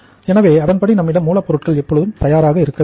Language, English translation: Tamil, So accordingly we should have the availability of the raw material with us